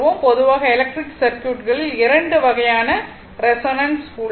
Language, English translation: Tamil, Generally 2 types of resonance in the electric circuits